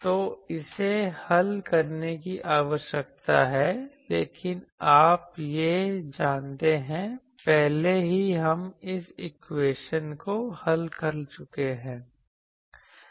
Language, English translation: Hindi, So, this needs to be solved, but you know this, already we have solved this equation earlier